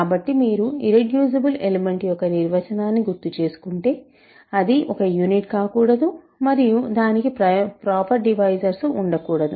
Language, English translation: Telugu, So, if you recall the definition of an irreducible element, it should not be a unit and it should not have proper divisors